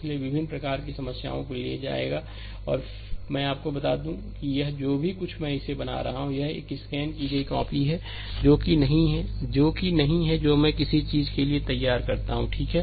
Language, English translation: Hindi, So, we will take different type of problems, and just let me tell you one thing that this ah this whatever whatever I am making it, it is a scanned copy ah that notes which I prepare for something, right